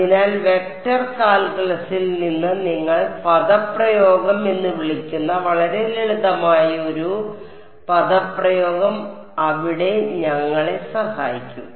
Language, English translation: Malayalam, So, we will see there is a very simple what you called expression from vector calculus that that will help us there